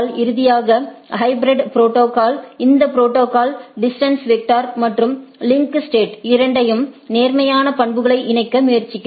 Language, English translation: Tamil, And finally, the hybrid protocol this protocol attempt to combine the positive attributes of both distance vector and link state